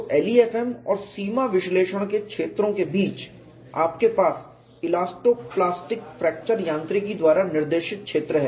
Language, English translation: Hindi, So, between the regions of LEFM and limit analysis, you have a region dictated by elasto plastic fracture mechanics